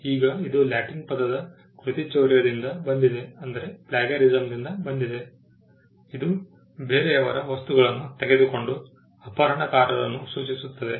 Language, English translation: Kannada, Now this comes from Latin word plagiaries, which stands for kidnappers somebody who took somebody else’s things